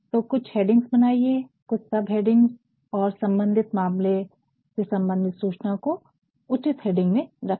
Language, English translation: Hindi, So, make certain heads, certain sub heads, and put the relevantissues of the relevant pieces of information to a particular head